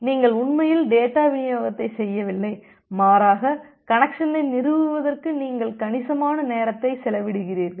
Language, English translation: Tamil, You are not actually doing the data delivery, rather you are spending a considerable amount of time just for establishing the connection